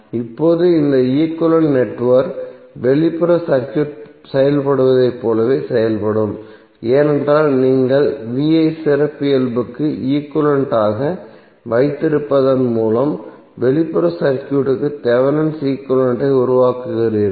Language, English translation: Tamil, Now this equivalent network will behave as same way as the external circuit is behaving, because you are creating the Thevenin equivalent of the external circuit by keeping vi characteristic equivalent